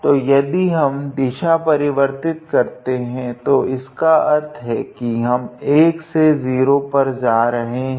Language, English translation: Hindi, So, if we are going in the reverse direction; that means, we are going from 1 to 0